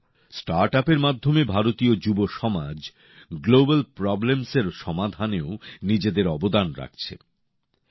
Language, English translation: Bengali, Indian youth are also contributing to the solution of global problems through startups